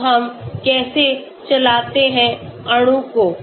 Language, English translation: Hindi, Now how do we run molecules